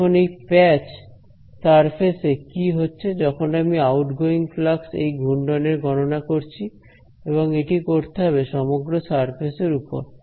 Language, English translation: Bengali, Now in this surface patch over here, what is happening is I am calculating the outgoing flux of this swirl and it is to be done over the whole surface